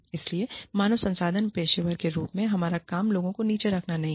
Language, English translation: Hindi, So, our job, as HR professionals, is not to put, people down